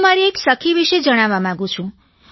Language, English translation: Gujarati, I want to tell you about a friend of mine